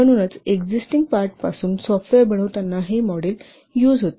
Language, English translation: Marathi, So this model is used when software is composed from existing parts